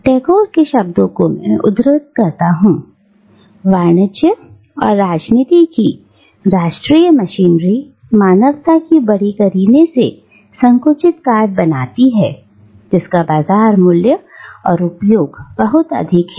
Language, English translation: Hindi, In Tagore’s words, I quote, “the national machinery of commerce and politics turns out neatly compressed bales of humanity which have their use and high market value